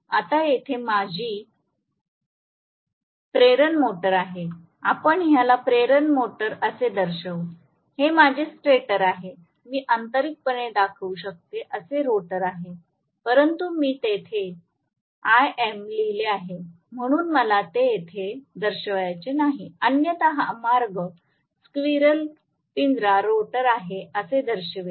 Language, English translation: Marathi, Now, here is my induction motor, so induction motor let me show it like this, this is my stator, the rotor I can show internally, but I have written big IM so I do not want to show it there otherwise this is the way I will show the squirrel cage rotor